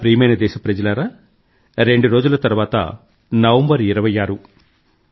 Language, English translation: Telugu, My dear countrymen, the 26th of November is just two days away